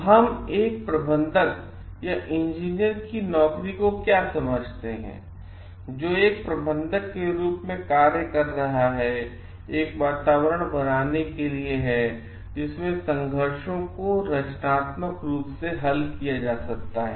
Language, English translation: Hindi, So, what we understand like the job of a manager or a engineer, who is functioning as a manager is to create climate in which conflicts can be resolved constructively